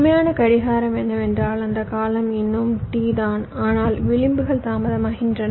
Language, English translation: Tamil, what i am saying is that the time period is still t, but the edges are getting delayed